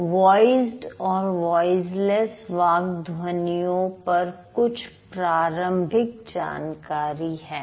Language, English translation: Hindi, , these are just some preliminary information about voiced and voiceless speech sounds